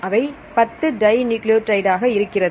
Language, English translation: Tamil, So, that will be 10 dinucleotides